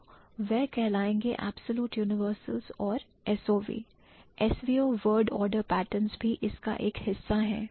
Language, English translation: Hindi, So, that would be known as absolute universals and SOV, SVO ordered a patterns are also a part of this